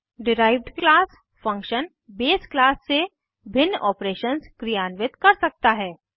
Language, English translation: Hindi, Derived class function can perform different operations from the base class